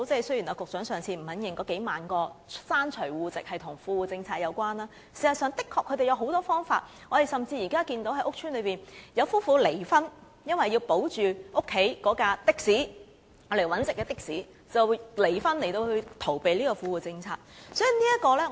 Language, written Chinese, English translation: Cantonese, 雖然局長不願意承認那數萬個刪除戶籍的個案與富戶政策有關，但事實上，他們是有許多方法的，我們現在甚至看到有居於屋邨的夫婦離婚，因為要保住家中用來謀生的的士，於是離婚來規避富戶政策。, The Secretary is reluctant to admit that the tens of thousands of cases of deletion of household members from tenancy are related to the Well - off Tenants Policies but they have a lot of methods actually . Now we have even seen a case in which a couple living in a housing estate divorced in order to keep a taxi which is their means of living . They divorced to circumvent the Well - off Tenants Policies